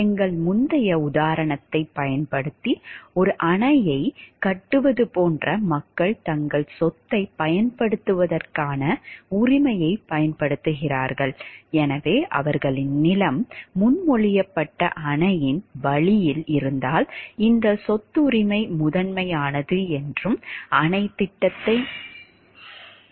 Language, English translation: Tamil, Using our previous example of the building a dam like people like have they use right to use their property